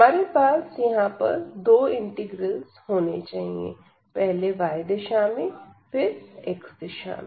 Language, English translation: Hindi, So, we need to have two integrals now; so, in the direction of y first and then in the direction of x